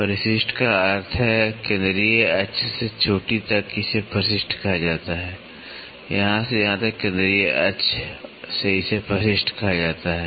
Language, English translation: Hindi, Addendum means from the central axis to the crest it is called as addendum, from here to here from the central axis to this is called as addendum